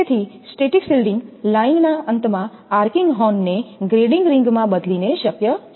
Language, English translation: Gujarati, So, static shielding can be possible by changing the arcing horn at the line end to a grading ring